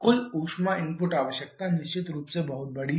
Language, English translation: Hindi, But look at total heat input requirement